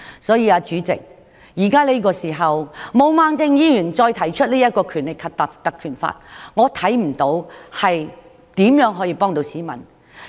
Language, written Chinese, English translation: Cantonese, 所以，主席，此時毛孟靜議員提出引用《立法會條例》，我看不出可以如何幫助市民。, Therefore President I do not see how Ms Claudia MOs present proposal on invoking the Legislative Council Ordinance can help members of the public